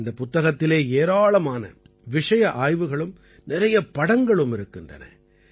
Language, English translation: Tamil, There are many case studies in this book, there are many pictures